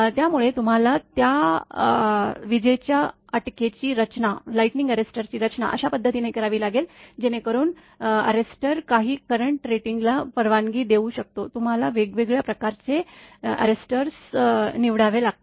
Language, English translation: Marathi, So, you have to design that lightning arrester in such a fashion that it can maximum switching surge that arrester can allow some current rating you have to choose different type of arresters are there